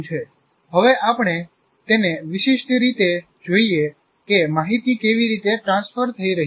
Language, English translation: Gujarati, Now we look at it specifically how the information is getting transferred